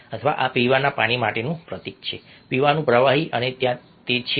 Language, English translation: Gujarati, or this is an emblem for drinking water, a drinking liquid, and it is there a